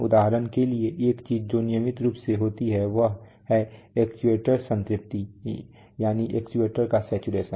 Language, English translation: Hindi, For example, one of the things that is very regularly happens is that the actuator saturation